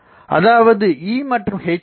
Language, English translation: Tamil, So, they are producing E1 and H1